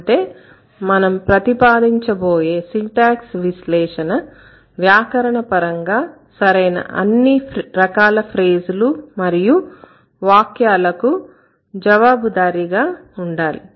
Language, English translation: Telugu, So, the first all criterion means this analysis must account for all grammatically correct phrases and sentences